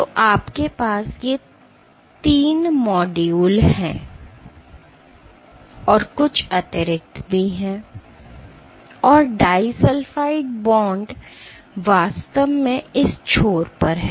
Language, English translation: Hindi, So, you have these 3 modules, 3 modules and there is some extra and the disulfide bonds are actually at this end